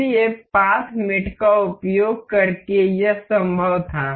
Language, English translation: Hindi, So, this was possible by using path mate